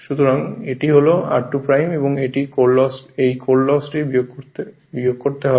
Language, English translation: Bengali, So, it is r 2 dash and this is your core loss to be subtracted